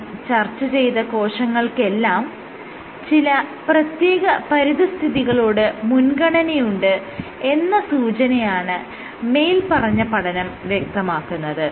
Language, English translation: Malayalam, All these studies suggest that cells tend to have a preference for a certain kinds of environment